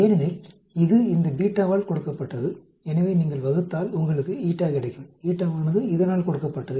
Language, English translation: Tamil, Because that is given by this beta, so if you divide you will get the eta; eta is given by this